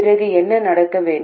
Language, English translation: Tamil, Then what should happen